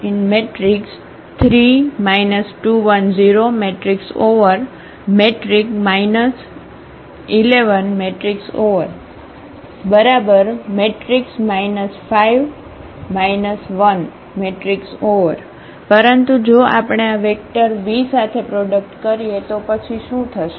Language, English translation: Gujarati, So, we have this result minus 5 minus 1, but if we do this product with this vector v then what will happen